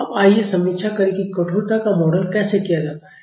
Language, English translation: Hindi, Now, let us review how stiffness is modeled